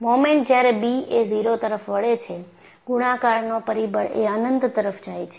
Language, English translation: Gujarati, The moment when b tends to 0, the multiplication factor goes to infinity